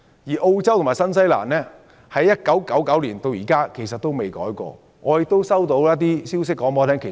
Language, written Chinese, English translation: Cantonese, 而澳洲和新西蘭的上限標準自1999年至今也沒有修訂過。, The maximum level in Australia and New Zealand has not been revised since 1999